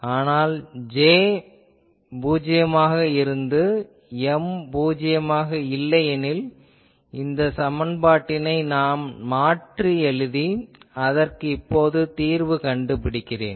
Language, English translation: Tamil, But for the case when we have that J is 0, but M is not 0; then, I can rewrite this equation which I will now solve